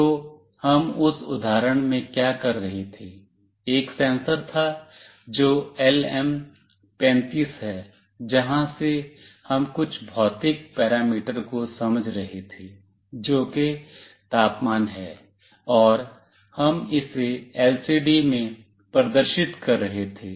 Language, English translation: Hindi, So, what we were doing in that example, there was a sensor that is LM35 from where we were sensing some physical parameter that is temperature, and we were displaying it in the LCD